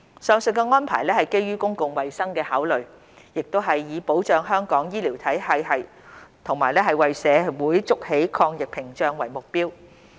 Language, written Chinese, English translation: Cantonese, 上述安排是基於公共衞生考量，亦是以保障香港醫療系統及為社會築起抗疫屏障為目標。, The aforesaid arrangements were made on public health grounds with the aim of protecting our healthcare system and building an anti - epidemic barrier for our society